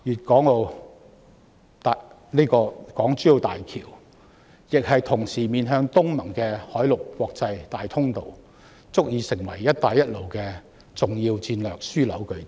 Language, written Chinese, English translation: Cantonese, 港珠澳大橋同時是面向東南亞國家聯盟的海陸國際大通道，足以成為"一帶一路"的重要戰略樞紐據點。, HZMB is at the same time an international land and sea passage facing countries of the Association of Southeast Asian Nations adequately offering itself as an important strategic hub and stronghold for the Belt and Road Initiative